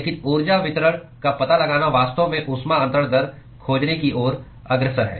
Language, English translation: Hindi, But, finding the energy distribution is really leading towards finding the heat transfer rate